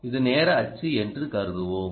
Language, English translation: Tamil, let us assume that this is time